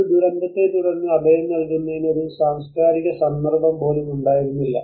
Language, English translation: Malayalam, There was never just one cultural context for providing shelter following a disaster